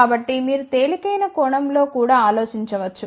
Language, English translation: Telugu, So, you can think in the lighter sense also